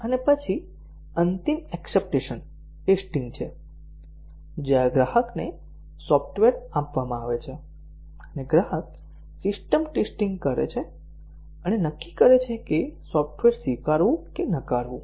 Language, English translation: Gujarati, And then the final is the acceptance testing, where the customer is given the software and the customer carries out the system testing and decide whether to accept the software or reject it